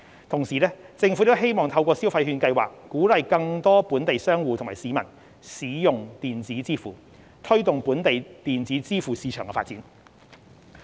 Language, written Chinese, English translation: Cantonese, 同時，政府亦希望透過消費券計劃鼓勵更多本地商戶及市民使用電子支付，推動本地電子支付市場發展。, At the same time the Government also wants to encourage through the Scheme more local merchants and members of the public to use electronic payments so as to foster the development of the local electronic payment market